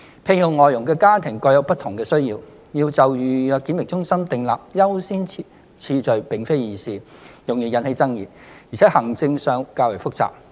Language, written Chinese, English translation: Cantonese, 聘用外傭的家庭各有不同的需要，要就預約檢疫中心訂立優先次序並非易事，容易引起爭議，而且行政上會較為複雜。, Families employing FDHs have different needs and it would not be easy to accord priority for making reservations at PBQC as it would generate controversies and would be complicated administratively